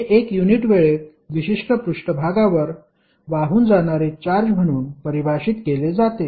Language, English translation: Marathi, So, it means that the amount of charge is flowing across a particular surface in a unit time